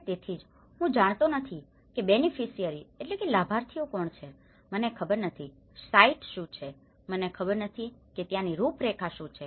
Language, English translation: Gujarati, And because that is where I don’t know who are the beneficiaries, I don’t know what is a site, I don’t know what is the contours over there